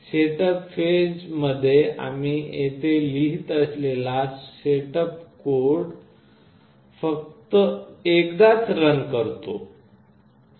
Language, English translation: Marathi, In the setup phase, the setup code here that we write is only run once